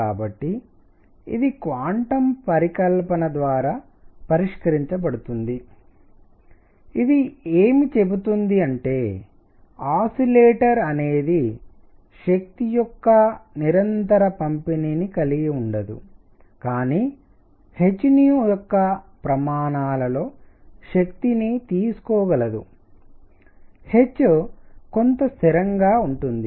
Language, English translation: Telugu, So, this is resolved by quantum hypothesis, it says that an oscillator cannot have continuous distribution of energy, but can take energy in units of h nu; h is some constant